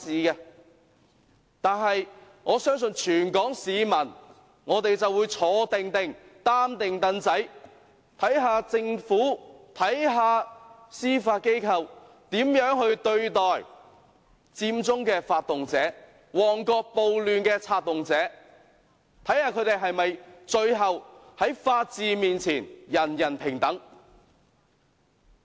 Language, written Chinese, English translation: Cantonese, 不過，我相信全港市民會"坐定定，擔定櫈仔"，看看政府、看看司法機構如何對待佔中的發動者和旺角暴亂的策動者，看看他們最後會否在法律面前，人人平等。, On the other hand I think all the people of Hong Kong will wait and watch how the Government and the Judiciary will treat the organizers of Occupy Central and those inciting the Mong Kok riot and whether equality before law will apply to them eventually